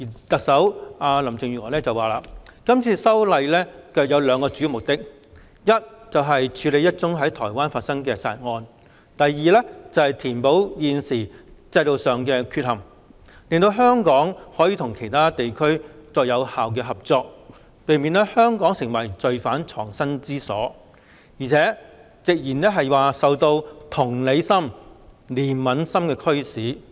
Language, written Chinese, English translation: Cantonese, 特首林鄭月娥表示，是次修例有兩個主要目的，一是處理一宗在台灣發生的殺人案，二是填補現時制度上的缺陷，令香港可與其他地區有效合作，避免香港成為罪犯藏身之所，更直言是受到同理心、憐憫心的驅使。, According to Chief Executive Carrie LAM the legislative amendment exercise serves two main purposes First tackle a homicide case that took place in Taiwan; and second plug the loopholes in the current regime so that Hong Kong can cooperate with other places effectively and avoid becoming a refuge for criminals to evade justice . She has even claimed to have been driven by empathy and compassion